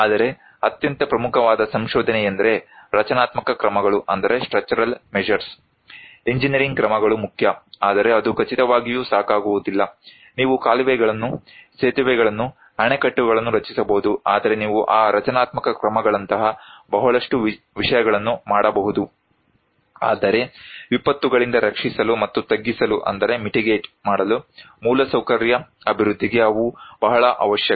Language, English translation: Kannada, But the most important finding is that structural measures; engineering measures are important, but not enough that is for sure, you can build dikes, bridges, dams but you can make a lot of things like that structural measures, but they are very necessary for infrastructure development to protect and mitigate disasters